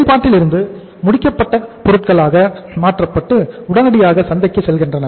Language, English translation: Tamil, From the work in process it being converted to finished goods and straightaway the finished goods are going to the market